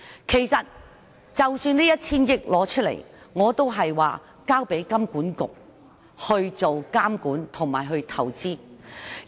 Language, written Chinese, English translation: Cantonese, 其實這 1,000 億元的撥款，我建議交給金融管理局監管和投資。, In fact for this fund of 100 billion I suggest that it be handed to the Hong Kong Monetary Authority for monitoring and investment